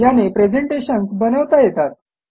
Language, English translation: Marathi, It is used to create powerful presentations